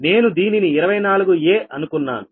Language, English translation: Telugu, this is actually twenty four